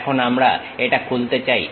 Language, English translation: Bengali, Now, we would like to open it